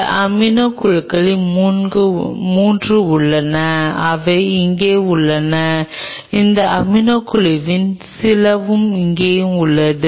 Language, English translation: Tamil, It has 3 of these amino groups which are present here also few of these amino groups present here also